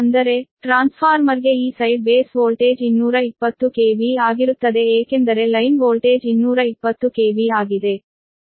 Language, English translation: Kannada, that means this side base voltage for the transformer will be two twenty k v, because line voltage is two twenty k v